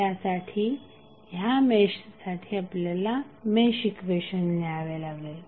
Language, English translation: Marathi, You have to just simply write the mesh equation for this mesh